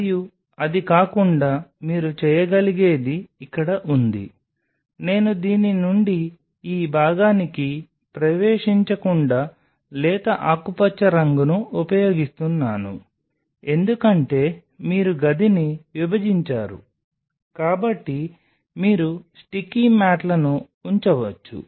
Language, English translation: Telugu, And apart from it what you can do is out here I am using a light green color from entering from this one to this part, because you have partitioned the room you can put the sticky mats